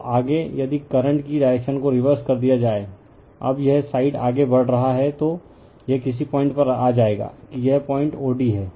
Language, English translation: Hindi, Now, further if you reverse the direction of the current right, now this side you are moving, you will come to some point o d right that this point o d